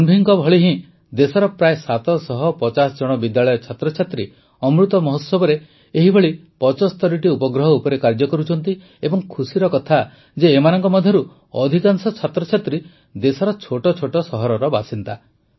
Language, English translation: Odia, Like Tanvi, about seven hundred and fifty school students in the country are working on 75 such satellites in the Amrit Mahotsav, and it is also a matter of joy that, most of these students are from small towns of the country